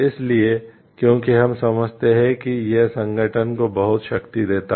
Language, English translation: Hindi, So, because we understand this gives a lots of power to the organization